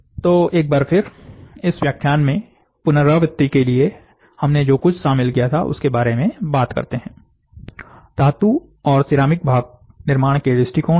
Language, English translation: Hindi, To recapitulate in this lecture, what we covered was, what are the approaches to metal and ceramic metal part creation